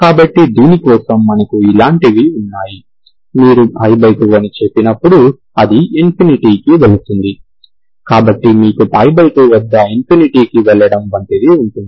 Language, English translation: Telugu, So for this you have, you have things like this, when you say pie by 2, it is going to infinity, so you have something like, going to infinity at pie by 2